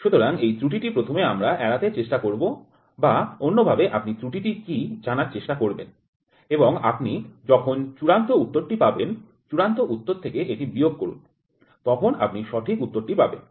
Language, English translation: Bengali, So, this error first we will try to avoid or the other way round is you try to know the error and when you get the final answer, subtract it from the final answer then you get the correct answer